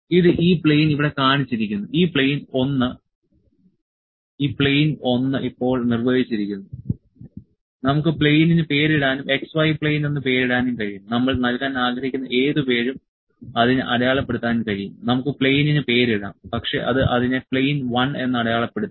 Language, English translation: Malayalam, So, it has shown this plane here; this plane 1 is now defined, we can name the plane as well, we can name it x y plane, we can mark it whatever name we would like to give, we can name the plane as well, but it has just marked it plane 1